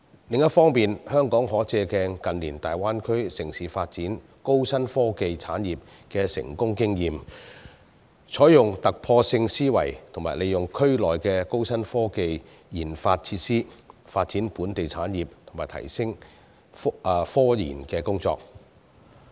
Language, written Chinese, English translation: Cantonese, 另一方面，香港可借鏡近年大灣區城市發展高新科技產業的成功經驗，採用突破性思維和利用區內的高新科技研發設施，發展本地產業和提升科研工作。, On the other hand Hong Kong can draw reference from the successful experience of other Greater Bay Area cities in recent years in developing new and high technology industries import their groundbreaking mindset and make use of high - tech research and development facilities in the Area to develop local industries and enhance scientific research and development